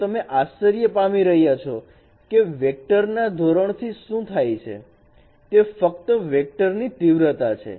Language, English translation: Gujarati, So if you are wondering what is meant by norm of a vector, it is simply the magnitude of that vector